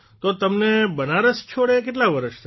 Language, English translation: Gujarati, So how many years have passed since you left Banaras